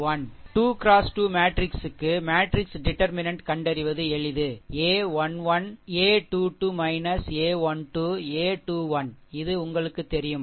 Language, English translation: Tamil, Suppose for a 2 into 2 matrix, right for a 2 into 2 matrix determinant is simple a 1 1, a 2 2 minus a 1 2, a 2 1 this you know